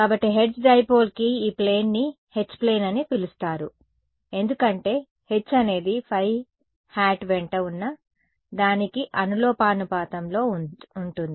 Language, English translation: Telugu, So, that is why this plane is called the H plane for the hertz dipole because we had H is proportional to something along phi hat